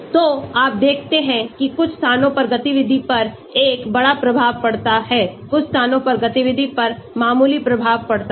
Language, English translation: Hindi, So, you see some locations have a major impact on activity some locations have minor impact on activity